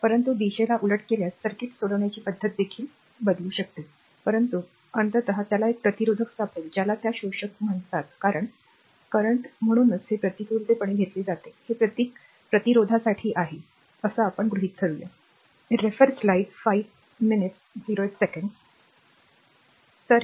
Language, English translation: Marathi, But if we reverse the direction also method solving circuit one can do it, but ultimately we will find resistor actually your what you call that absorbing power because current, that is why this conversely is taken this symbol is for resistor, right